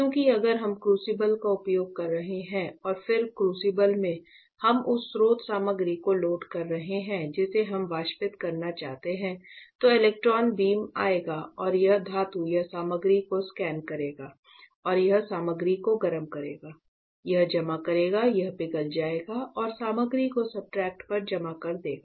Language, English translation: Hindi, Because in that case we will be using crucible right and then in the crucible, we are loading the source material that we want to evaporate electron beam will come and it will scan the metal or material and it will heat the material; it will deposit it will melt and deposit the material on the substrate